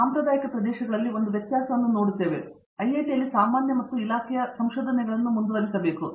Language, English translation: Kannada, In the traditional areas also we must point out one difference in the way or we at IIT pursue research in general and our department as well